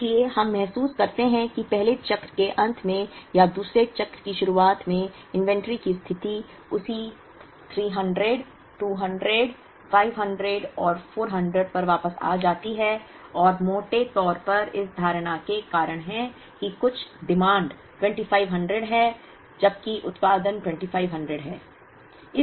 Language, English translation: Hindi, So, we realize that at the end of the first cycle or at the beginning of the second cycle, the inventory position comes back to the same 300, 200, 500 and 400, and that is largely because of the assumption that some of the demands is 2500, while production is 2500